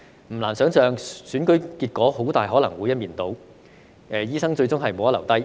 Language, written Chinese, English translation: Cantonese, 不難想象，選舉結果很大可能會是一面倒，醫生最終無得留低。, It is not difficult to imagine that the election result will likely be lopsided and doctors will eventually be excluded